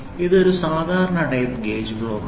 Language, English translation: Malayalam, So, this is a typical slip gauge block